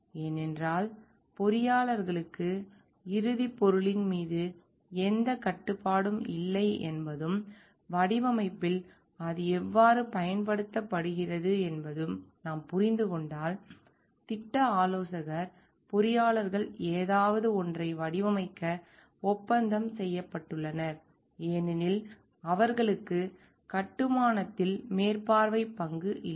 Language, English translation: Tamil, Because if we understand like here the engineers do not have any control on the end product and how it is used ultimately in design only projects consultant engineers are contracted to design something, because they but they do not have any supervisory role in the construction